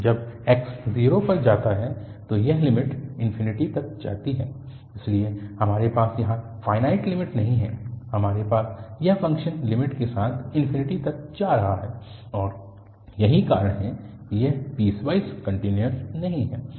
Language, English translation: Hindi, So, when x goes to 0 this limit goes to infinity, so we do not have finite limit here, we have this function with limit is going to infinity and that is the reason that this is not piecewise continuous